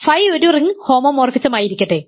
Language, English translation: Malayalam, So, let phi be a ring homomorphism